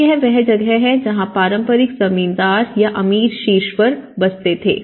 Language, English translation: Hindi, So, this is where the traditional, the landlords or the rich people who used to settle down on the top